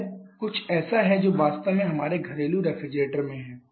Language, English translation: Hindi, This is something that we have actually in our domestic refrigerators remember in your domestic refrigerators